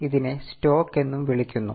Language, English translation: Malayalam, It is also called as stock